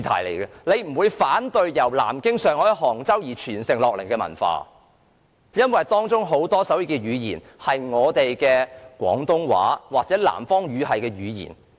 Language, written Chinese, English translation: Cantonese, 大家是不會反對由南京、上海及杭州傳承而來的文化，因為手語是承襲自廣東話或南方語系的語言。, Members will not reject the culture from Nanjing Shanghai and Hangzhou because our sign language is inherited from Cantonese or the southern Chinese language system